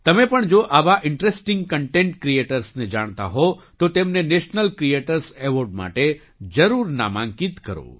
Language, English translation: Gujarati, If you also know such interesting content creators, then definitely nominate them for the National Creators Award